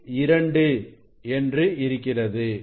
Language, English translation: Tamil, 6 reading is 2